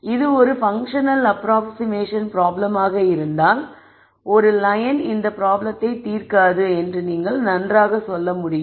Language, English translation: Tamil, If this were a function approximation problem you could really say well a single line will not solve this problem